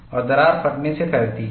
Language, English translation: Hindi, And the crack extends by tearing